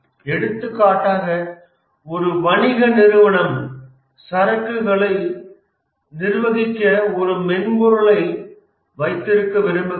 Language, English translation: Tamil, For example, a business house wants to have a software to manage the inventory